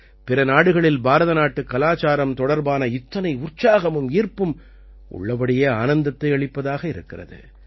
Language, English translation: Tamil, Such enthusiasm and fascination for Indian culture in other countries is really heartening